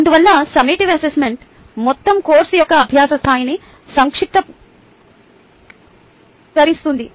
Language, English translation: Telugu, hence summative assessment sums up the level of learning for the entire course